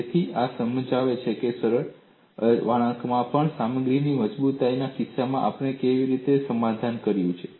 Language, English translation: Gujarati, So, this explains, even in simple bending, how we have compromised in the case of strength of materials